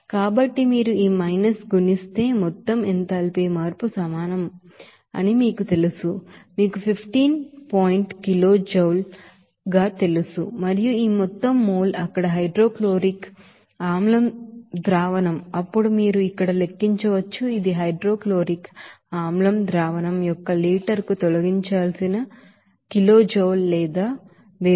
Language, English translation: Telugu, So we can get this you know total enthalpy change will be is equal to if you multiply this minus you know 15 point kilojoule and the total mole of you know that hydrochloric acid solution there, then accordingly you can calculate here, this will be your amount of kilojoule or heat energy that is to be removed per liter of that hydrochloric acid solution